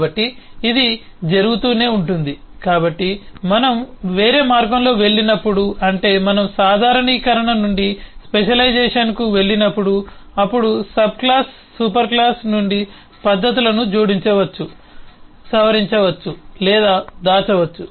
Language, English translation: Telugu, so when we go the other way, that is, when we go from generalisation to specialisation, then a subclass can add, modify or hide methods from the superclass